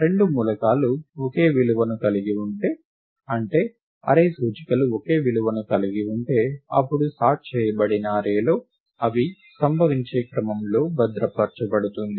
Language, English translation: Telugu, If two elements have the same value; if two array indices have the same value; then in the sorted array, the rever the order in which they occur is preserved